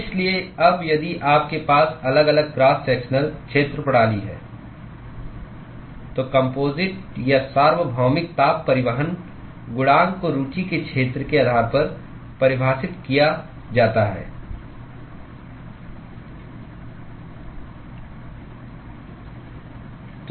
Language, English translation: Hindi, So, now, if you have varying cross sectional area system, then the overall or the universal heat transport coefficient is defined based on the area of interest